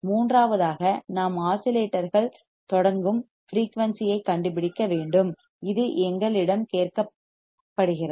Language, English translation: Tamil, Third would be we required to find frequency at which the oscillations will start, this we are asked